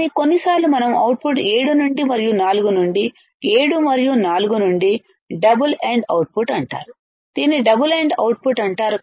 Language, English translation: Telugu, But sometimes we take the output from 7 and from 4, from 7 and 4 that is called double ended output that is called double ended output